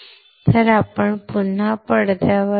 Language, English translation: Marathi, So, let us come back to the screen